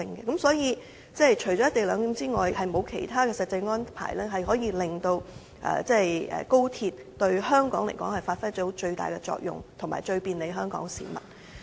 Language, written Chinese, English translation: Cantonese, 因此，除了"一地兩檢"之外，沒有其他實際安排可以令高鐵發揮最大效用、最便利香港市民。, Hence apart from the co - location arrangement there is no other practical arrangement that can maximize the effectiveness of XRL and facilitate the public